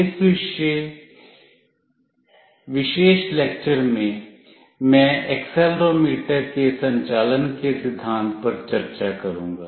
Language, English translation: Hindi, In this particular lecture, I will be discussing the principle of operation of accelerometer